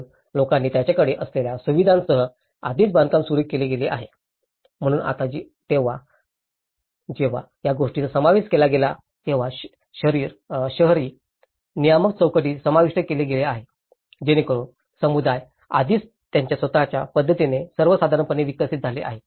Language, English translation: Marathi, So, people started already building up with whatever the facilities they have, so now, when it has been included then the urban regulatory frameworks have been incorporated, so that becomes a challenge because communities have already developed in their own ways of patterns of the normally developed